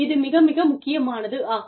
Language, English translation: Tamil, So, that is absolutely essential